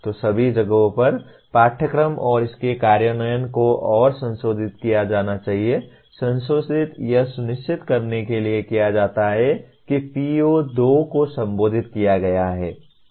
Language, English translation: Hindi, So at all places the curricula and its implementation should be revised further, revised to make sure that the PO2 is addressed